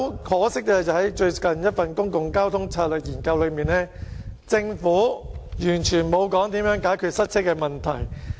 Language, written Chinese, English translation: Cantonese, 可惜的是，在最近一份《公共交通策略研究》報告內，政府完全沒有提及如何解決塞車的問題。, Regrettably in the latest report on Public Transport Strategy Study the Government is silent on any solution for easing traffic congestion